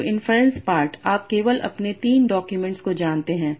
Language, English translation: Hindi, So inference part you only know your three documents